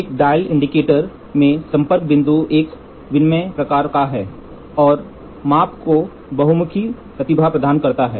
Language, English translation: Hindi, The contact point in a dial indicator is of an interchangeable type and provides versatility to the measurement